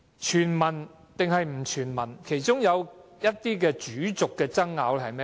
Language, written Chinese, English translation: Cantonese, 全民或不全民，其中一些主軸爭拗是甚麼？, What are some of the central arguments surrounding the concept of universal or otherwise?